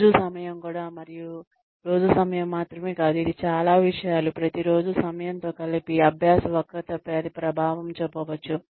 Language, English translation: Telugu, Time of day also has, and not only the time of the day, it is a lot of things, combined with the time of the day, that may have an impact, on the learning curve